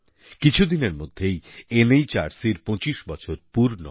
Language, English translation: Bengali, A few days later NHRC would complete 25 years of its existence